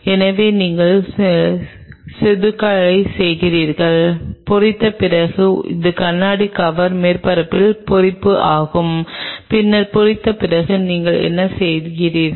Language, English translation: Tamil, So, you did the etching and after the etching this is the etching of the glass cover surfaces then what you do you etched it after etching